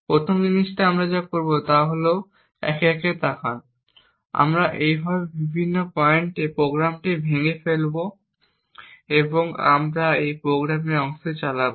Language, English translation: Bengali, The first thing we would do so what we will do is look at it one by one, we would break the program in various points like this and we will just run part of this program